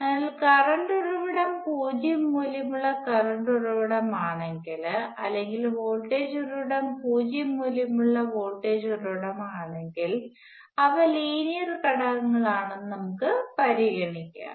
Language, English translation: Malayalam, So, we would not consider that that is if the current source is zero valued current source, or a if the voltage source is a zero valued voltage source those would be linear elements